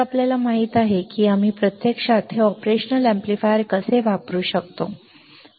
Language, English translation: Marathi, So, you know how we can actually use this operational amplifier ok